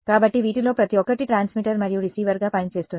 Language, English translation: Telugu, So, each of these things can act as both as a transmitter and receiver